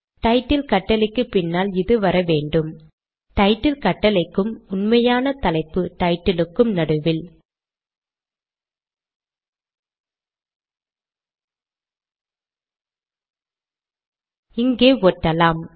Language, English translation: Tamil, This should come after the command title, between the title command and the actual title